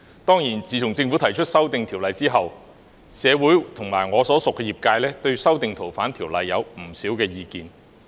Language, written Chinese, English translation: Cantonese, 當然，自從政府提出修訂《條例》後，社會和我所屬的業界均對修訂《條例》有不少意見。, Certainly since the Governments introduction of the proposal for amending FOO the community and the sector to which I belong had voiced quite a number of views on the amendments